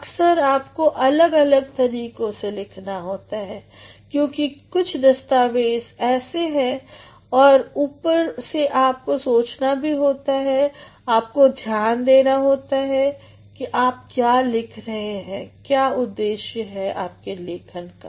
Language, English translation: Hindi, At times you have to write differently because there are certain documents which act, and moreover, you also have to think, you also have to take into consideration for what you are writing, what is actually the objective of your writing